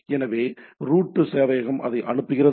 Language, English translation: Tamil, So, the root server sends it to that right